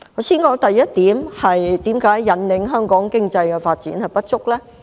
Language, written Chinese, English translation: Cantonese, 先談第一點，為何在引領香港經濟發展方面不足？, On the first point how is the Budget inadequate in steering Hong Kongs economic development?